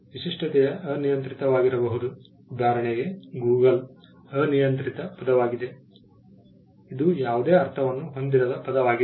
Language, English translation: Kannada, The distinctiveness can be arbitrary; for instance, Google is an arbitrary word, it is a word which does not have any meaning